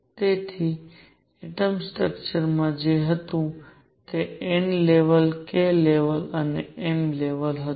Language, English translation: Gujarati, So, in the atomic structure what we had was n level k level and m level